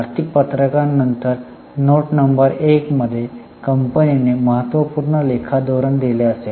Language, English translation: Marathi, After the financial statement in the note number one, company would have given important accounting policies